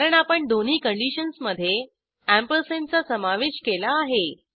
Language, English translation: Marathi, This is because we have included ampersand in between both the conditions